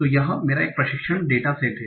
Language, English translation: Hindi, So this is my training data set